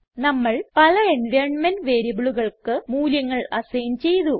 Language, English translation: Malayalam, We have assigned values to many of the environment variables